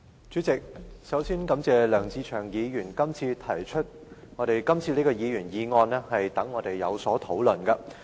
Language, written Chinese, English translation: Cantonese, 主席，首先，我感謝梁志祥議員今天提出這項議員議案，讓我們有機會進行討論。, President first I wish to thank Mr LEUNG Che - cheung for proposing this Members motion today and giving us an opportunity to discuss this subject